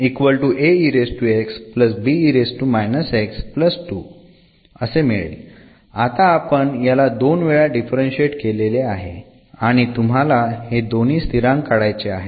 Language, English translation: Marathi, So, now, we have already differentiated this two times and now you want to eliminate these constants